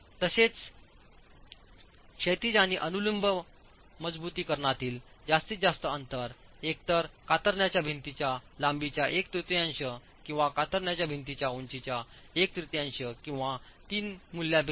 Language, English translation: Marathi, Also the maximum spacing of horizontal and vertical reinforcement should be the lesser of the shear wall length or one third of the shear wall height or 1